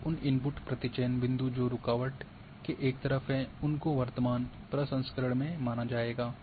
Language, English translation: Hindi, Only those input sample points on the same side of the barrier as the current processing will be considered